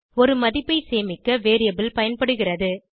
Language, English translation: Tamil, Variable is used to store a value